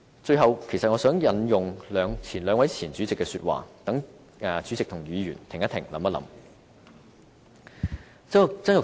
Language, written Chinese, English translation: Cantonese, 最後，其實我想引用兩位前主席的話，讓主席和議員也停一停，想一想。, To finish my speech I wish to quote the words of the two former Presidents . I hope the President and Members would stop for a while and consider their advices